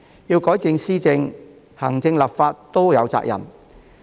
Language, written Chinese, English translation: Cantonese, 要改善施政，行政和立法雙方皆有責任。, To improve governance the responsibility lies on both the executive and the legislature